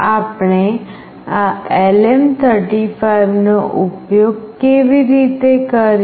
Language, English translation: Gujarati, How do we use this LM 35